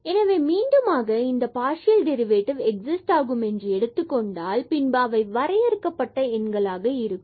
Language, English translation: Tamil, So, assuming again that these partial these derivatives exist and they are finite numbers